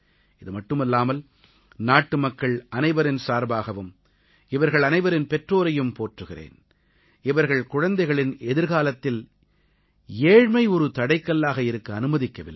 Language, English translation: Tamil, Along with this, I also, on behalf of all our countrymen, bow in honouring those parents, who did not permit poverty to become a hurdle for the future of their children